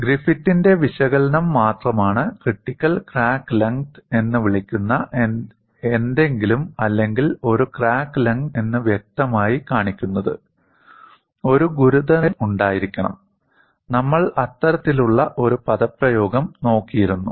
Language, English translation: Malayalam, It was only Griffith’s analysis which categorically showed that, if there is something called a critical crack length or for a given crack length, there has to be a critical stress; we had looked at that kind of an expression